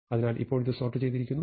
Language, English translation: Malayalam, So, this is now sorted